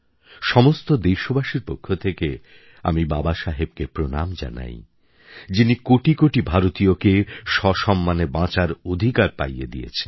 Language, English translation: Bengali, I, on behalf of all countrymen, pay my homage to Baba Saheb who gave the right to live with dignity to crores of Indians